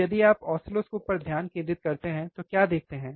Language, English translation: Hindi, So, we if you focus on oscilloscope what we see here